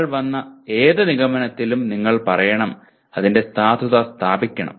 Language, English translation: Malayalam, And you have to say whatever conclusion that you have come to its validity should be established